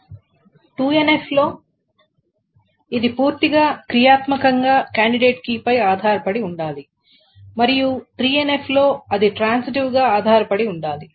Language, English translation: Telugu, And in the 2NF, it should fully functionally depend and in 3NF it should transitively depend